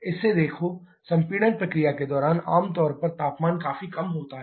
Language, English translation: Hindi, Look at this, during the compression process generally the temperature is quite low